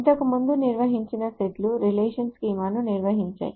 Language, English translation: Telugu, So, the sets that we defined earlier define the relation schema